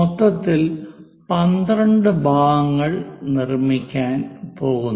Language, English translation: Malayalam, Here we are going to make 12 parts